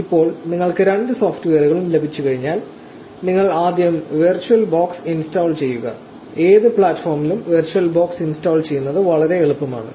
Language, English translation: Malayalam, Now, once you have both the software, you first install virtual box; it is very easy to install virtual box on any platform